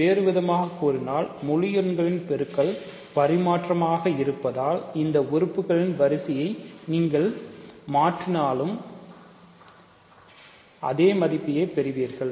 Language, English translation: Tamil, So, and the other way because multiplication of integers is commutative you get the other if you interchange the role of the order of these elements, you get the same element